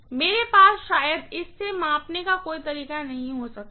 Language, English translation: Hindi, I may be having some way of measuring it, right